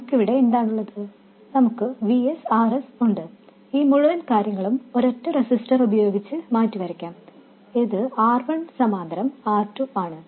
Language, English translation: Malayalam, We have Vs, RS, RS, and this whole thing can be replaced by a single resistor which is R1 parallel R2